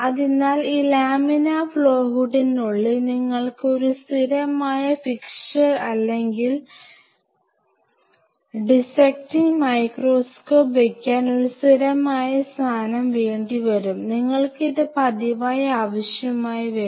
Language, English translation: Malayalam, So, out here inside this laminar flow hood, you may prefer to have a permanent fixture or a not a fixture a permanent location for dissecting microscope, you will be needing this pretty frequently